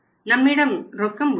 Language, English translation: Tamil, Here we have the cash